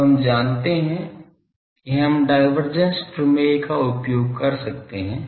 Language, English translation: Hindi, So, we know we can use divergence theorem